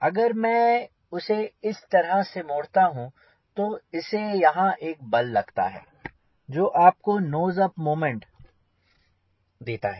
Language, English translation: Hindi, if i deflect like this, it gives the force here or which gives you nose of moment